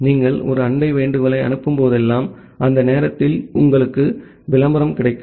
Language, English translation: Tamil, Whenever you are sending a neighbor solicitation, during that time you will get a advertisement